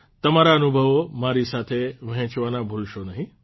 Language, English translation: Gujarati, Don't forget to share your experiences with me too